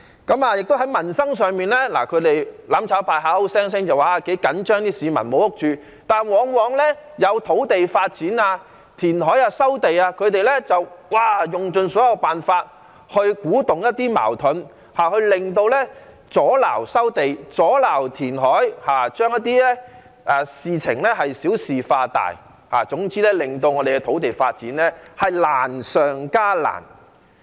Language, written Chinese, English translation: Cantonese, 在民生上，"攬炒派"口口聲聲說很緊張市民沒有屋住，但往往當有土地發展、填海和收地計劃時，他們便用盡所有辦法去鼓動一些矛盾，阻撓收地和填海，把事情小事化大，總之令土地發展難上加難。, With respect to peoples livelihood the mutual destruction camp keeps claiming that it is gravely concerned about the housing shortage faced by the public . But then whenever there are plans for land development reclamation and land resumption they will try every means to stir up conflicts to obstruct land resumption and reclamation and make a big fuss out of a trivial matter therefore making land development even more difficult in the end